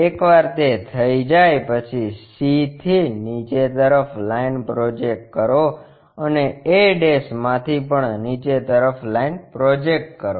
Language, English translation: Gujarati, Once that is done, project line, project line from c all the way down, and project from a' also all the way down